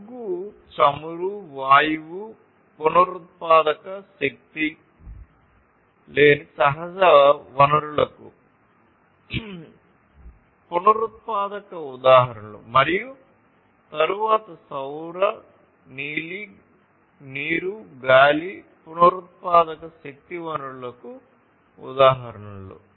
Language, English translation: Telugu, Coal, oil, gas etc are the non renewable examples of non renewable sources of natural in energy and then solar, water, wind etc are the examples of renewable sources of energy